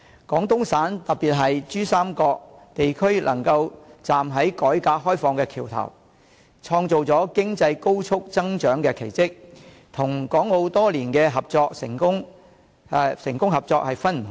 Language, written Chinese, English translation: Cantonese, 廣東省特別是珠三角地區能夠站在改革開放的橋頭，創造了經濟高速增長的奇蹟，與港澳多年的成功合作是分不開的。, The reason Guangdong Province especially the Pearl River Delta can remain the bridgehead of the reform and opening - up of the country and create the miracle of high - speed economic growth is closely related to the years of successful cooperation with Hong Kong and Macao